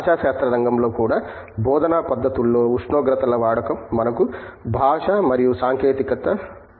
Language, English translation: Telugu, In the field of linguistics as well, we have language and technology the use of temperatures in teaching methods